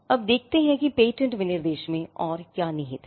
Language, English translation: Hindi, Now, let us see what else is contained in the patent specification